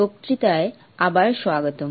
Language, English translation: Bengali, Welcome back to the lecture